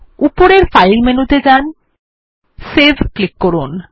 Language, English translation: Bengali, Go to File menu at the top, click on Save